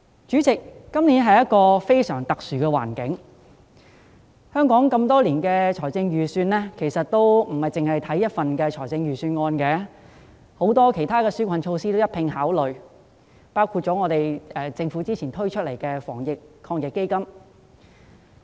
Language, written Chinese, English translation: Cantonese, 主席，今年的環境非常特殊，香港多年來的預算其實並非只是單看一份預算案，還會一併考慮其他紓困措施，包括政府早前推出的防疫抗疫基金。, President the environment of this year is very special . For many years the estimates of Hong Kong is not merely reflected in the budget as other relief measures will also be taken into consideration including the Anti - epidemic Fund set up by the Government earlier on